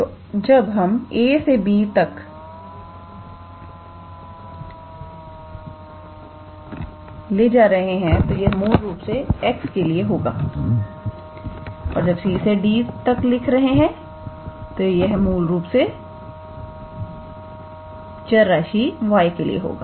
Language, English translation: Hindi, So, when we write a to b that is for x and when we write c to d then that is for the variable y